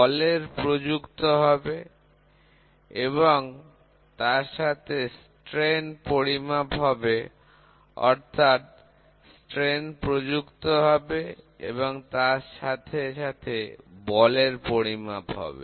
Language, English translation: Bengali, The force will be applied and the strains will be measured or the strains will be applied and the force will be measured